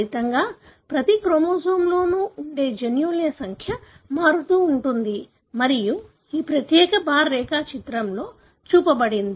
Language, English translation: Telugu, As a result, the number of genes that are present in each chromosome vary and that is shown in this particular bar diagram